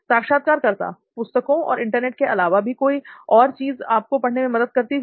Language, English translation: Hindi, Anything else other than books and the Internet to help you learn